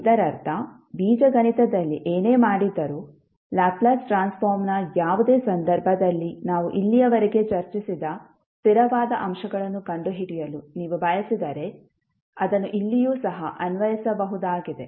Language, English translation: Kannada, That means that whatever did in Algebra, the same can be applied here also, if you want to find out the, the constant components in any case of the Laplace Transform, which we discussed till now